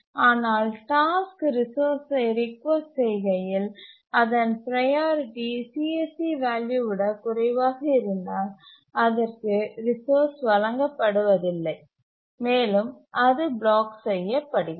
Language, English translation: Tamil, But if the task requesting the resource priority of the task is less than CSEC, it is not granted the resource and it blocks